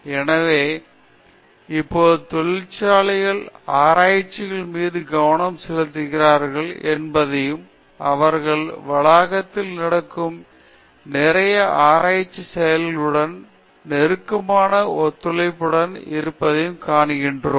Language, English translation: Tamil, So, now, we can see that the industries are also focusing on research scholars and they are also having close collaboration with lot of research activities that’s happening in the campus